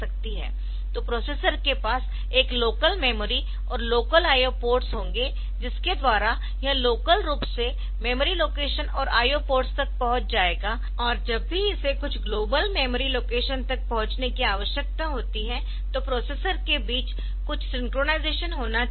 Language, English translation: Hindi, So, there is a local memory and the processor will have a local memory, and local I O ports mean which it will be accessing the locations memory locations and I O ports ah locally, but and whenever it needs to access some global memory location, so there has to be some synchronization between the processors